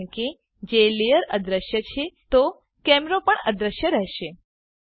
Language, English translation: Gujarati, Since the layer is hidden the camera gets hidden too